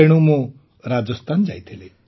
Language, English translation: Odia, Hence I went to Rajasthan